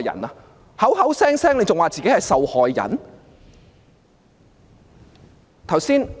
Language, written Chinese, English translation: Cantonese, 他還口口聲聲說自己是受害人。, And he kept saying that he was a victim